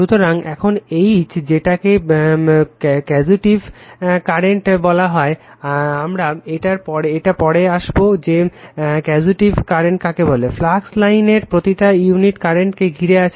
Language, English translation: Bengali, So, now H defined as the causative current, we will come to come later what is causative current, per unit length of the flux line you are enclosing the current right